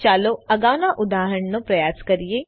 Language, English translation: Gujarati, Let us try the previous example